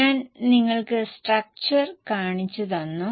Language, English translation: Malayalam, I have just shown you the structure